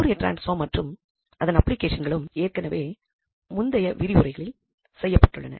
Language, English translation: Tamil, So, Fourier transform and its applications is already done in previous lectures